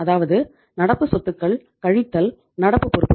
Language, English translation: Tamil, So it means we have the current assets and we have the current liabilities